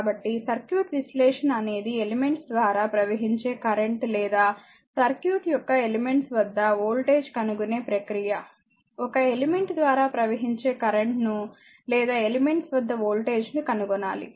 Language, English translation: Telugu, So, circuit analysis is the process of determining the currents through the elements or the voltage across the elements of the circuit, either you have to find out the current through an element or the voltage across this elements right